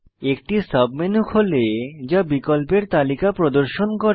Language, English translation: Bengali, A submenu opens, displaying a list of options